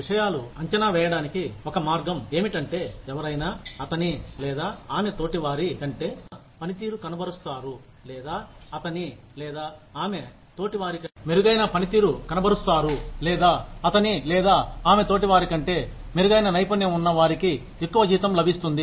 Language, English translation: Telugu, The other way of assessing things is, anyone, who performs better than, his or her peers, or, who has a better skill set, than his or her peers, will get a higher salary